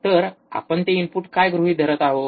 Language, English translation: Marathi, So, in what we are assuming that input